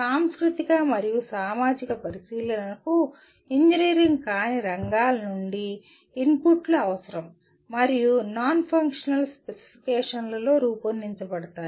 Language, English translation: Telugu, Cultural and societal considerations will require inputs from non engineering fields and incorporated into the non functional specifications